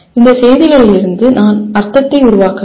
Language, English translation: Tamil, And I need to construct meaning from these messages